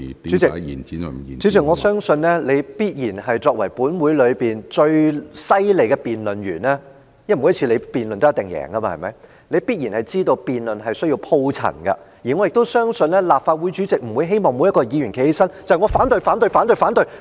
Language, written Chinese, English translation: Cantonese, 主席，我相信你作為立法會內最厲害的辯論員——因為你每次辯論也一定會贏——也必然知道辯論是需要鋪陳論據的，而我亦相信立法會主席不會希望每個議員站起來只會說"我反對、反對、反對......, President I believe that you are the best debater in the Legislative Council―because you will definitely be the winner in each and every debate―and you should know very well that it is essential for a debater to elaborate his arguments . I also believe that the President of the Legislative Council does not wish to see every Member just arise and say I oppose I oppose I oppose and keep saying I oppose for the full 15 minutes of speaking time